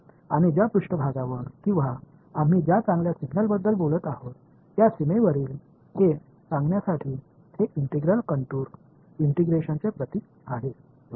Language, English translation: Marathi, And to tell to make sure that its a surface or a boundary we are talking about the best indication is that this integral is a the symbol of integrations the contour integration right